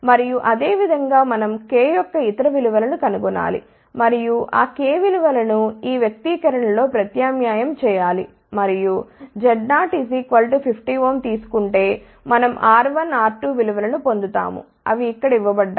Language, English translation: Telugu, And, similarly we find the other values of k and by substituting the value of k in these expressions and taking Z 0 as 50 ohm we get R 1 R 2 values, which are given over here